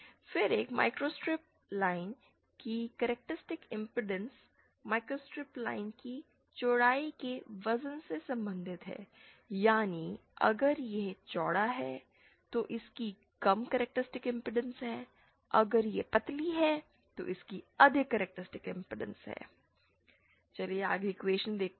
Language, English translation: Hindi, Then the characteristic impedance of a microstrip line is related to the weight of a of a width of the microstrip line is related to its characteristic impedance i